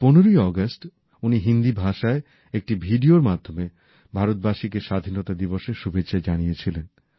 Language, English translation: Bengali, On this 15th August, through a video in Hindi, he greeted the people of India on Independence Day